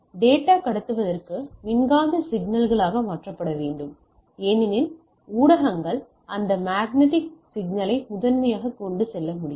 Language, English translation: Tamil, So, to be to transmit data must be transformed to electromagnetic signals as the media is can carry that electromagnetic signal primarily